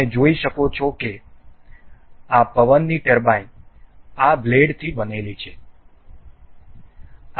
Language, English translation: Gujarati, You can see this this wind turbine is made of these blades